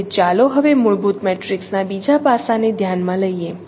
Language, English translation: Gujarati, So let us consider now the other aspect of the fundamental matrix